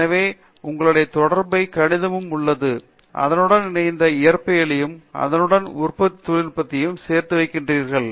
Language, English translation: Tamil, So, you have all the associated math and you have all the associated physics, along with the fabrication technology for that